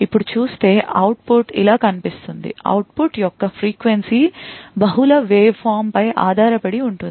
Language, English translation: Telugu, Now it would look, the output would look something like this, the frequency of the output depends on multiple factors